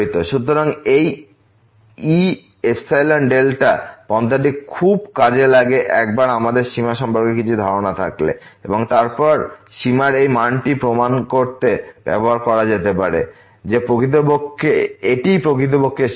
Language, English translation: Bengali, So, this epsilon delta approach will be very useful once we have some idea about the limit and then, this value of the limit can be used to prove that this is indeed the limit